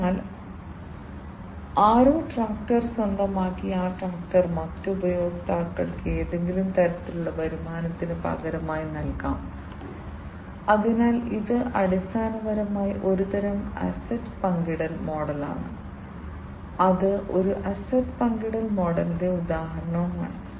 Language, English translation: Malayalam, So, somebody owns the tractor and that tractor can be given in exchange of some kind of revenue to the other customers, so that this is basically a kind of asset sharing model, this is an example of an asset sharing model